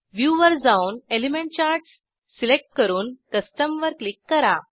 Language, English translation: Marathi, Go to View, select Element Charts and click on Custom